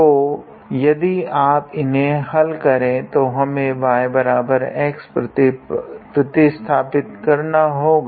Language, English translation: Hindi, So, if you solve them then basically what we have to do is substitute y equals to x